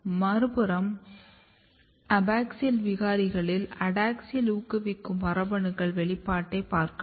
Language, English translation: Tamil, On the other hand, if you look the expression pattern of adaxial promoting gene in the abaxial mutant